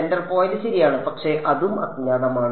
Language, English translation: Malayalam, Well centre point ok, but that is also an unknown